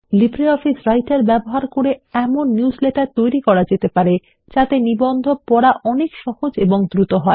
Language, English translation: Bengali, Using LibreOffice Writer one can create newsletters which make reading of articles much easier and faster